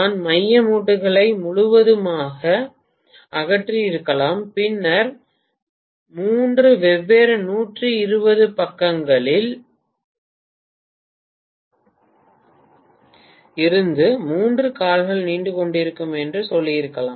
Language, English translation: Tamil, I could have removed the center limb completely and then I could have said let me have three limbs protruding from three different 120 degree side